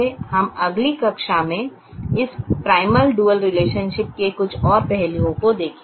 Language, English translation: Hindi, will see some more aspects of this primal dual relationship in the next class